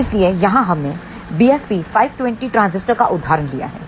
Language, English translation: Hindi, So, here we have taken an example of BFP520 transistor